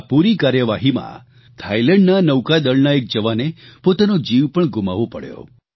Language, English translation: Gujarati, During the operation, a sailor from Thailand Navy sacrificed his life